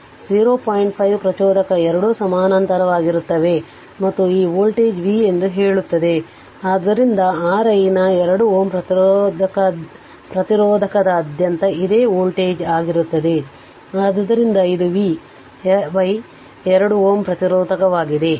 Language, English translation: Kannada, 5 ah inductor both are in parallel right and this voltage is say v so that means, R i y will be this same voltage across a 2 ohm resistor, so it is V by this 2 ohm resistance right